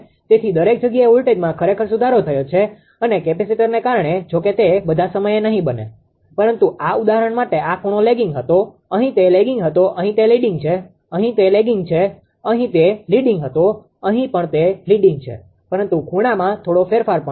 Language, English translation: Gujarati, So, everywhere voltage actually has improved and because of the capacitor although not all the time it will happen but for this example, this angle was leading, here it was lagging, here it is leading, here it is lagging, here it was leading, here also it is leading but there is some change in the angle also